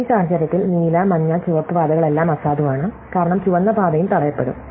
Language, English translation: Malayalam, In this case, the blue, yellow and red paths are all invalid because the red path also happens to get blocked